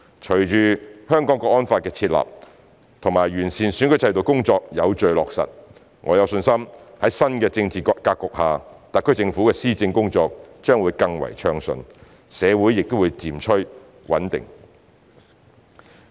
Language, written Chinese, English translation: Cantonese, 隨着《香港國安法》的設立及完善選舉制度的工作有序地落實，我有信心在新的政治格局下，特區政府的施政工作將會更暢順，社會亦會漸趨穩定。, With the enactment of the National Security Law and the work of improving electoral system implemented in an orderly manner I am confident that the SAR Government will have a smoother governance and society will become stable under the new political setting